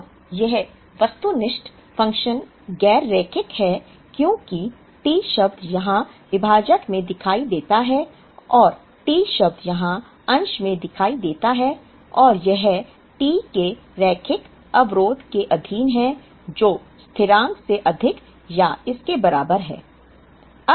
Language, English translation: Hindi, Now, this objective function is non linear because the term T appears here in the denominator and the term T appears here in the numerator and it is subject to a linear constraint of T greater than or equal to constant